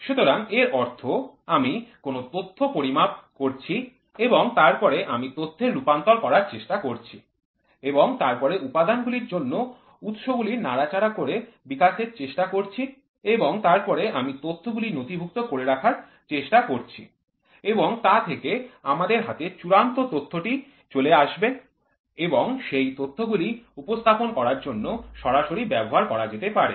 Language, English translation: Bengali, So, that means, to say I am measuring a data then I am trying to convert the data and then trying to develop manipulation for the elements and then I am trying to record the am trying to take the final data in my hand and that data can be used for displaying presentation systems directly